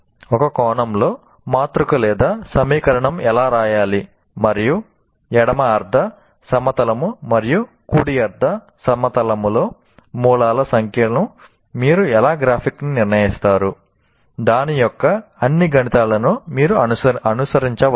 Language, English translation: Telugu, In the sense, he can follow based on that how the matrix are the equation to be written and how do you graphically determine the number of roots in the left half plane and right half plane